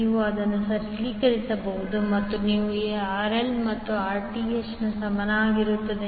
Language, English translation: Kannada, You can simplify it and you get RL is equal to Rth